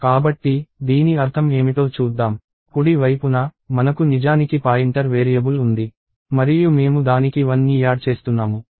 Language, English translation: Telugu, So, let us see what this means, on the right side, we actually have a pointer variable and we are adding 1 to it